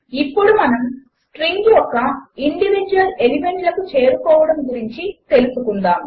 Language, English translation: Telugu, Lets now look at accessing individual elements of strings